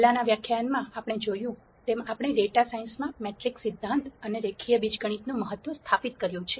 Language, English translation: Gujarati, As we saw in the previous lecture we had established the importance of matrix theory and linear algebra in data science